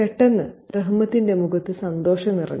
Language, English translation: Malayalam, In a flash, Rahmats' face was filled with expressions of happiness